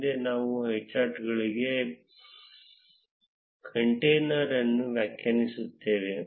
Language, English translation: Kannada, Next, we define the container for a highchart